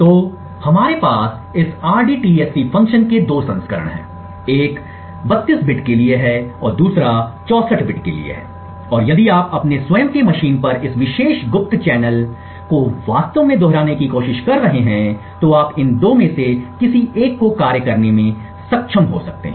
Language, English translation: Hindi, So we have 2 versions of this rdtsc function other one is for 32 bit and the other is for 64 bit and if you are using trying to actually replicated this particular covert channel on your own machine, you could suitably enable one of these 2 functions